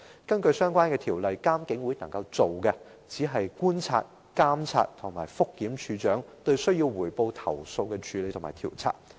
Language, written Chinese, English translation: Cantonese, 根據有關條例，監警會的工作只是觀察、監察和覆檢警務處處長就須匯報投訴的處理和調查工作。, According to the relevant ordinance the functions of IPCC are to observe monitor and review the handling and investigation of reportable complaints by the Commissioner of Police